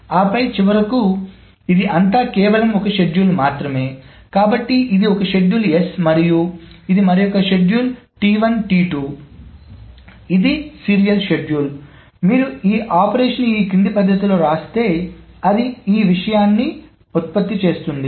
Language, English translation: Telugu, So, this is one schedule S, and this is another schedule T1 2, which is the serial schedule, which if we write down these operations in the following manner, then it produces this thing